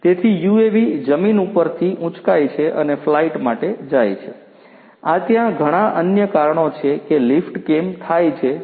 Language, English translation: Gujarati, So, UAV lifts up from the ground and goes for a flight, this is one of the reasons like this there are many other reasons why the lift happens